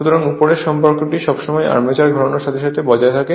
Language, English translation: Bengali, So, that above relation is always maintained as the armature rotates